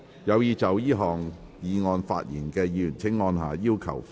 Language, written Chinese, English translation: Cantonese, 有意就這項議案發言的議員請按下"要求發言"按鈕。, Members who wish to speak on this motion will please press the Request to speak button